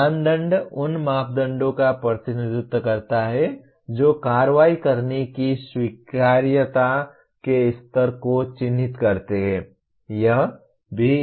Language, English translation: Hindi, Criterion represents the parameters that characterize the acceptability levels of performing the action